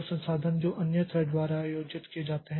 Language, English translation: Hindi, So, the resources that are held by other threats